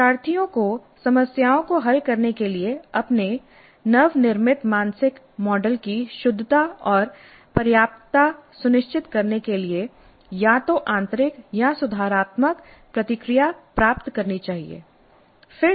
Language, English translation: Hindi, Learners should receive either intrinsic or corrective feedback to ensure correctness and adequacy of their newly constructed mental model for solving problems